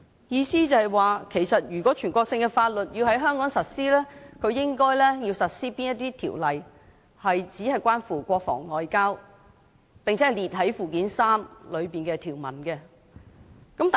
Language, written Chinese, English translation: Cantonese, 意思是，如果全國性的法律要在香港實施，應該實施只關乎國防外交、並載列於附件三的條文內的法律。, What this means is that if national laws are to be applied in Hong Kong only those related to defence and foreign affairs as set out in the provisions of Annex III should be applied